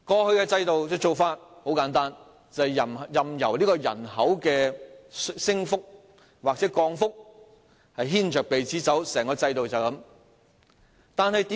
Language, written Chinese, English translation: Cantonese, 在過去制度下，做法很簡單，便是任由人口的升降牽着鼻子走，整個制度就是這樣。, Under the old system the practice is very simple which is allowing the rise and fall in the population to lead the schools by the nose . The whole system worked like that